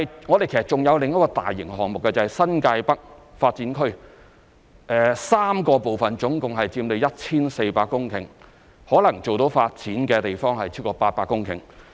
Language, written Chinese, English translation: Cantonese, 我們還有另一個大型項目，就是新界北發展 ，3 個部分總共佔地約 1,400 公頃，可能做到發展的地方超過800公頃。, We have another large - scale project the New Territories North NTN Development . It consists of three parts covering about 1 400 hectares of land . The area which may be developed exceeds 800 hectares